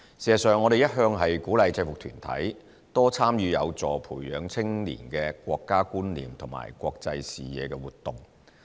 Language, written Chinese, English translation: Cantonese, 事實上，我們一向鼓勵制服團體，多參與有助培養青年的"國家觀念"和"國際視野"的活動。, In fact we have been encouraging UGs to take part in activities that help youth cultivate their sense of national identity and international perspective